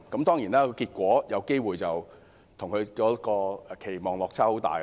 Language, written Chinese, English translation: Cantonese, 當然，結果有機會與她的期望有很大落差。, Certainly the final result may be very different from what she has expected